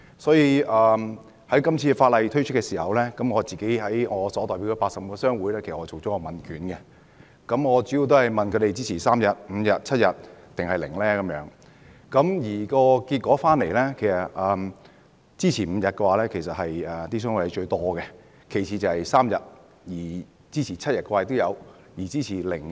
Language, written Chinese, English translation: Cantonese, 所以，今次法例提出的時候，我向自己所代表的80個商會發出了問卷，主要問他們認為侍產假的天數應該是3天、5天、7天抑或零，結果最多人支持5天，其次是3天，當中也有支持7天和零。, Therefore when this legislative proposal was put forth I sent questionnaires to the 80 chambers of commerce I represent mainly asking about their views on the appropriate duration of paternity leave―whether it should be three days five days seven days or null days . The result shows that five days paternity leave has the greatest support and then the option of three days follows